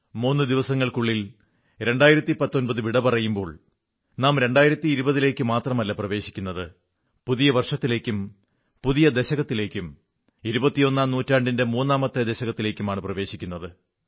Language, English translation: Malayalam, In a matter of just 3 days, not only will 2019 wave good bye to us; we shall usher our selves into a new year and a new decade; the third decade of the 21st century